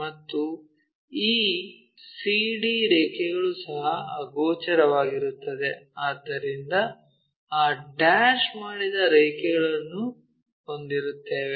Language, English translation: Kannada, And this c to d line also invisible, so we will have that dashed line